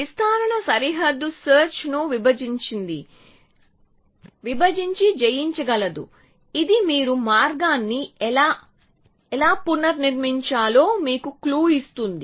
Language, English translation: Telugu, The expansion is divide and conquer frontier search, this will give you clue as to how do you reconstruct the path